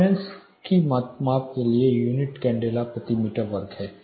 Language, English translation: Hindi, The unit for measurement of luminance is candela per meter square